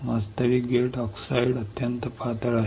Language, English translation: Marathi, Actually the gate oxide is extremely thin